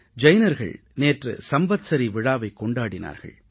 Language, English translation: Tamil, The Jain community celebrated the Samvatsari Parva yesterday